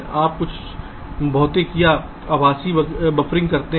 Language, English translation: Hindi, you do some physical or virtual buffering